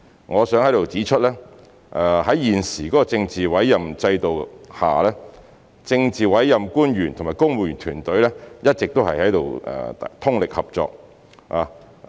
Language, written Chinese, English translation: Cantonese, 我想在此指出，在現時政治委任制度下，政治委任官員與公務員團隊一直通力合作。, I would like to point out here that politically appointed officials and the civil service have been working closely together under the current political appointment system